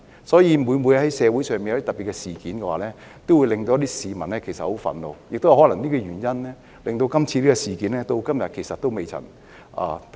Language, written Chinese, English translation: Cantonese, 所以，每次在社會上發生特別事件，都會令市民感到很憤怒，亦可能是這個原因，令這次事件至今仍未能平息。, So every time a special incident occurs in society it will make people angry and this may be the reason why this incident has yet to quiet down . During the whole turmoil I am particularly concerned about some events . Among them five incidents have aroused many peoples concern